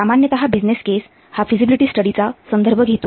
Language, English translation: Marathi, Business case normally it refers to feasible study